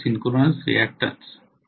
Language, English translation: Marathi, Only synchronous reactance